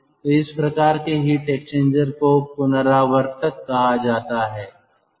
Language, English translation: Hindi, this type of heat exchangers are called recuperators